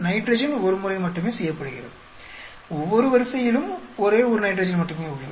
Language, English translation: Tamil, Whereas the nitrogen is done only once, for each row we have only one nitrogen